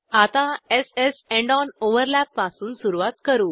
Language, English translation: Marathi, Lets start with s s end on overlap